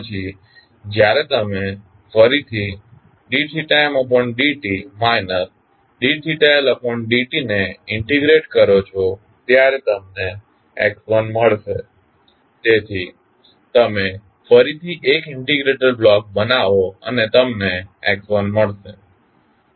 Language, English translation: Gujarati, Then when you again integrate theta m dot minus theta L dot, you will get x1 so again you create 1 integrator block and you get the x1